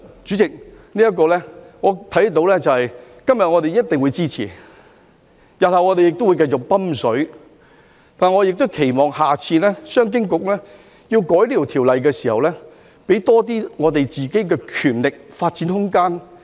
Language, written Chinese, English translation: Cantonese, 主席，其實我看到，我們今天一定會支持，我們日後會繼續"揼水"，但我期望商經局下次修改這項條例時，可以給自己多些權力和發展空間。, President in fact I can see that we will definitely support the project today and we will continue to inject funds in the future . Yet I hope that CEDB will expand its power and scope for development when it amends the legislation next time